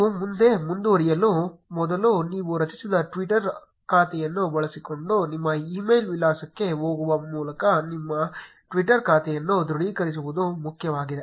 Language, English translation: Kannada, Before you proceed any further, it is important that you confirm your Twitter account by going to your email address using which you create created the twitter account